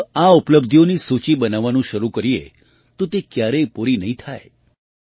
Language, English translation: Gujarati, If we start making a list of these achievements, it can never be completed